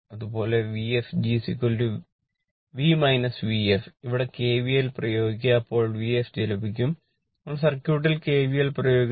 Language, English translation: Malayalam, Similarly, V fg is equal to v minus V ef you apply kvl here right, then you will get 0 here what we call V fg we apply the kvl in the circuit